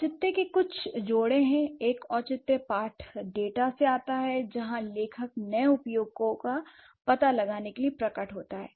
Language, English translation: Hindi, One justification comes from the textual data where the writer appears to explore new uses